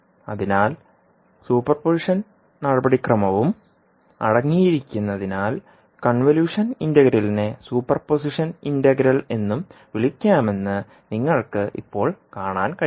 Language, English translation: Malayalam, So you can now see that the convolution integral can also be called as the super position integral because it contains the super position procedure also